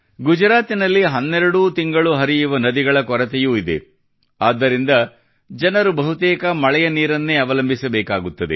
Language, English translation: Kannada, There is also a lack of perennially flowing rivers in Gujarat, hence people have to depend mostly on rain water